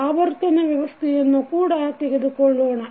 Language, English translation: Kannada, Let us take the rotational system also